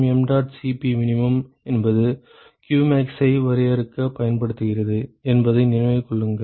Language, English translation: Tamil, Remember mdot Cp min is what is used for defining qmax